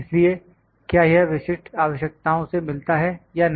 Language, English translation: Hindi, So, does it meet the specific requirements or not